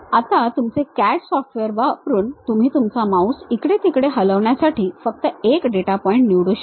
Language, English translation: Marathi, Now, using your CAD software, you can just pick one of the data point move your mouse here and there